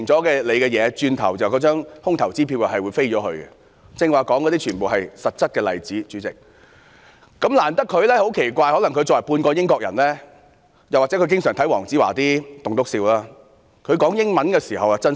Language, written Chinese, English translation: Cantonese, 主席，我剛才說的全部也是實質例子，但很奇怪，可能因為她是半個英國人，又或經常看黃子華的"棟篤笑"，她用英語發言時比較真心。, President every example cited by me just now is founded on facts . But strangely perhaps being half - British or a frequent viewer of Dayo WONGs stand - up comedies she sounds more sincere when she speaks in English